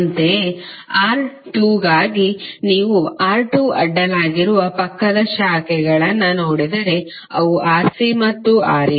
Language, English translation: Kannada, Similarly for R2, if you see the adjacent branches across R2, those are Rc and Ra